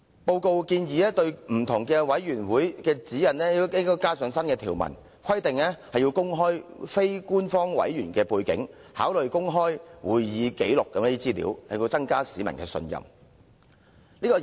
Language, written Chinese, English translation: Cantonese, 報告建議對各委員會的指引加入新條文，規定須公開非官方委員的背景，並考慮公開會議紀錄等資料，以增加市民的信任。, The report proposes to include new provisions to the guidelines of various committees which require them to disclose the background of non - official members and make public information such as records of open meetings to enhance public confidence